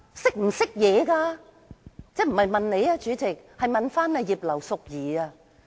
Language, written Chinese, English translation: Cantonese, 主席，我不是問你，我是在問葉劉淑儀議員......, President I am not putting the question to you but to Mrs Regina IP